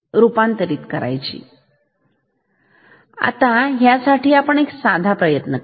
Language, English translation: Marathi, And let us first try away the simple scheme